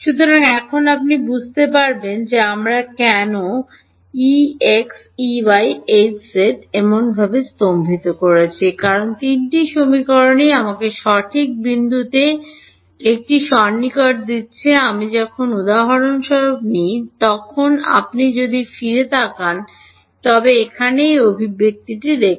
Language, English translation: Bengali, So, now you can appreciate why we have staggered E x E y H z in such a way because all the three equations are giving me an approximation at the correct point; when I take for example, if you look back here look at this expression over here